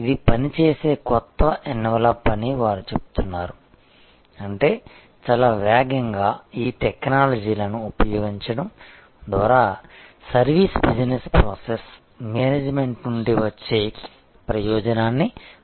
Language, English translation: Telugu, They are saying that this is the new envelop which will operate; that means very rapidly we will see the advantage coming from the service business process management by use of these technologies